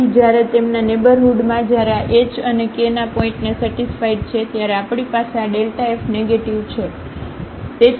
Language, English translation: Gujarati, So, in their neighborhood when this h and k satisfies these points then we have this delta f negative